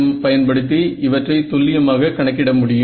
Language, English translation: Tamil, So, CEM again allows us to calculate these exactly ok